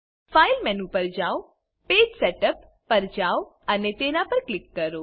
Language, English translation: Gujarati, Go to File menu, navigate to Page Setup and click on it